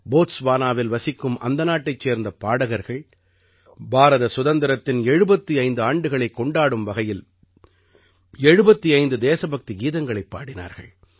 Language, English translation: Tamil, Local singers living in Botswana sang 75 patriotic songs to celebrate 75 years of India's independence